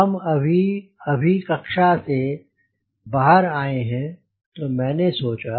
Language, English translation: Hindi, we had just come out of the class room